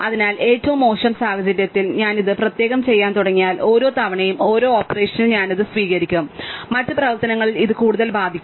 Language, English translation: Malayalam, So, in the worst case if I start doing this separately, each time in one operation I accept it affects two and in other operations it affects two more and so on